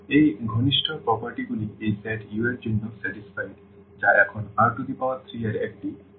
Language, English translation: Bengali, So, these closer properties are satisfied for this set U which is a subspace of now of R 3